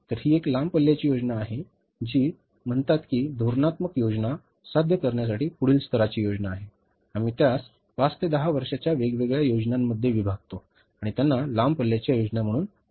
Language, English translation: Marathi, So, it is a long range plan which is say the next level plan to achieve the strategic plan, we divide it into five to 10 years different plans and they are called as the long range long range plans